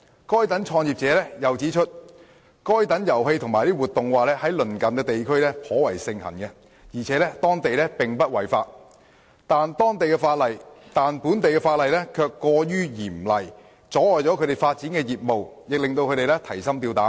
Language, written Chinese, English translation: Cantonese, 該等創業者又指出，該等遊戲和活動在鄰近地區頗為盛行而且在當地並不違法，但本地法例卻過於嚴厲，窒礙了他們發展業務，亦令他們提心吊膽。, Such entrepreneurs have also pointed out that while such games and activities are quite popular in the neighbouring regions and are not against any law in those places the laws of Hong Kong are overly stringent thereby hindering their business development and making them unduly worried